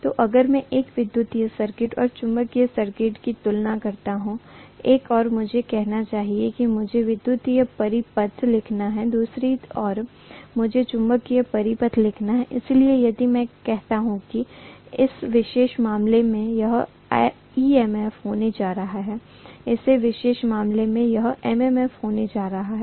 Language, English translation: Hindi, So if I compare an electric circuit and magnetic circuit, I should say on the one side let me write electric circuit, on the other side, let me write magnetic circuit, so if I say that in this particular case, this is going to be EMF, in this particular case, it is going to be MMF